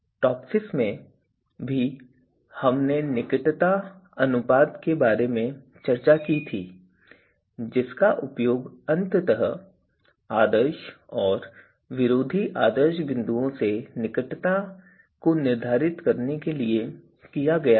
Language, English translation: Hindi, So, there also in TOPSIS when we discuss there also we had developed we have discussed the closeness ratio which was used to finally you know determine you know the closeness from the ideal and anti ideal points